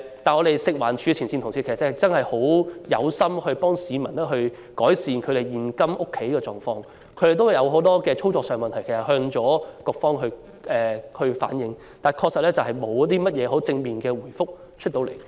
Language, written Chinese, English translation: Cantonese, 不過，食環署前線人員確實有心協助市民改善現今常見的家居問題，但卻有很多操作上的問題需要向局方反映，而又沒有得到正面回覆。, As a matter of fact frontline personnel of FEHD are serious about assisting the general public in mitigating a common household problem they have relayed many operational problems to the Bureau but have not received positive response